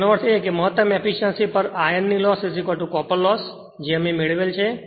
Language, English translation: Gujarati, That means, my at maximum efficiency iron loss is equal to copper loss that we have derived